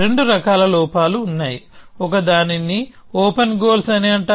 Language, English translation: Telugu, There are two kinds of flaws; one is called open goals